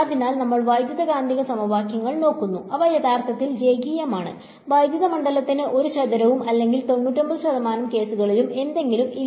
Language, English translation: Malayalam, So, we look at electromagnetic equations they are actually linear, there is no square for electric field or something for the most 99 percent of the cases